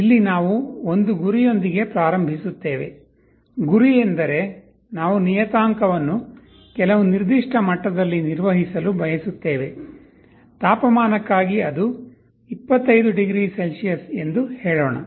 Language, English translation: Kannada, Here we start with a goal, goal means we want to maintain the parameter at some particular level; for temperature let us say, it is 25 degrees Celsius